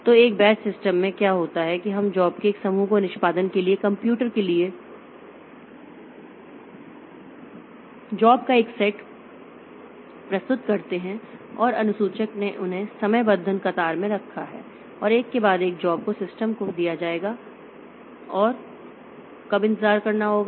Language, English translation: Hindi, So, in a batch system what happens is that we submit a batch of jobs, a set of jobs to the computer for execution and the scheduler put them in a scheduling queue and one after the other the jobs will be given to the system